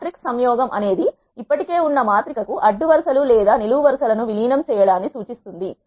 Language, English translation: Telugu, Matrix concatenation refers to merging of rows or columns to an existing matrix